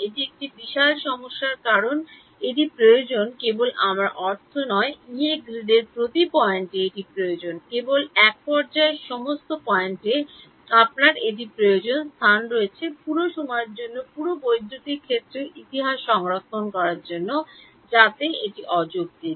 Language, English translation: Bengali, That is a huge problem because this is needed not just I mean this is needed at every point on the Yee grid not just at one point you need it in all points has space you need to store the entire electric field history for all time right, so that is that is impractical